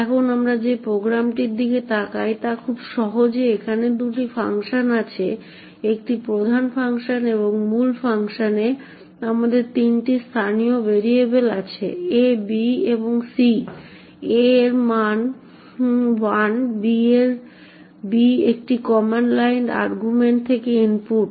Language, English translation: Bengali, Now the program we look at is very simple there are two functions a main and the function, in the main function we have three local variables a, b and c, a has a value of 1, b takes it is input from the command line arguments and c essentially does a + b